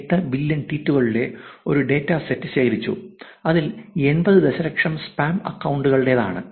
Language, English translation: Malayalam, 8 billion tweets and 80 million of which belongs to spam accounts